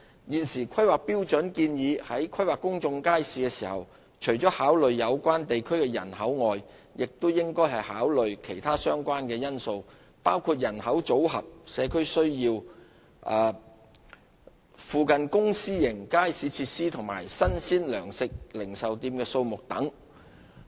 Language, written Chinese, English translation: Cantonese, 現時《規劃標準》建議在規劃公眾街市時，除考慮有關地區的人口外，亦應考慮其他相關因素，包括人口組合、社區需要、附近公私營街市設施及新鮮糧食零售店的數目等。, According to the existing HKPSG when planning for public markets apart from the population of the area other relevant factors that should be considered include the demographic mix community needs provision of both public and private markets nearby as well as the number of fresh provisional retail outlets